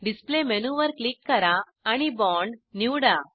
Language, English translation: Marathi, Click on the Display menu and select Bond